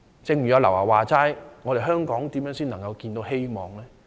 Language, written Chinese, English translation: Cantonese, 正如劉德華所說般，香港如何才能看到希望呢？, As rightly asked by Andy LAU how can Hong Kong see hope?